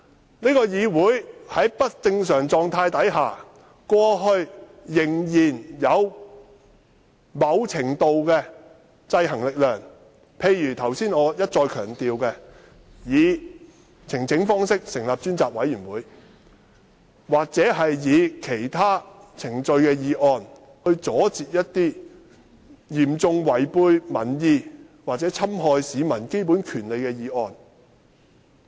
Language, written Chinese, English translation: Cantonese, 立法會以往即使在不正常的狀態下，仍然受到某程度的制衡，例如我剛才一再強調以呈請方式成立的專責委員會，或按照其他程序提出的議案，以阻截一些嚴重違背民意或侵害市民基本權利的議案。, In the past the Legislative Council was still subject to a certain degree of checks and balances even though it was not in a normal state . For instance select committees could be set up through petitions as I emphasized repeatedly earlier or motions be moved according to other procedures to block motions that were seriously against public opinion or infringed the basic rights of the people